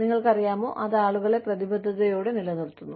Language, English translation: Malayalam, You know, it keeps people committed